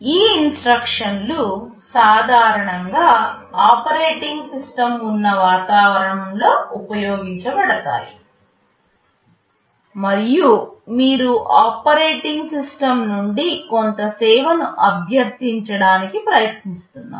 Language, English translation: Telugu, These instructions are typically used in environments where there is an operating system and you are trying to request some service from the operating system